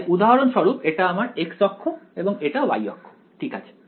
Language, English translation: Bengali, So, for example, this is your x axis and this is your y axis alright